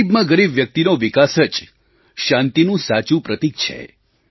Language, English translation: Gujarati, Development of the poorest of the poor is the real indicator of peace